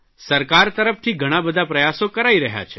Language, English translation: Gujarati, There are many efforts being made by the government